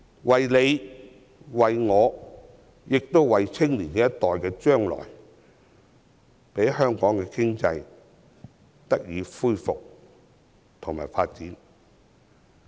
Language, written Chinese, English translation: Cantonese, 為了我們及年青一代的將來，希望香港經濟能夠復蘇和繼續發展。, I hope that the economy of Hong Kong will recover and continue to develop so as to create a better future for ourselves and for the younger generation